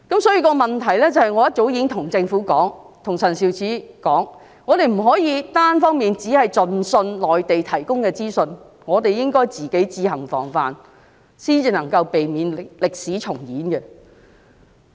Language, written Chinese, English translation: Cantonese, 所以，我早已跟政府和陳肇始說，我們不可以單方面相信內地提供的資訊，而是應該自行防範，這樣才能避免歷史重演。, Therefore I told the Government and Sophia CHAN long ago that we could not believe in the information provided by the Mainland unilaterally . Instead we should take precautionary measures ourselves to avoid history repeating itself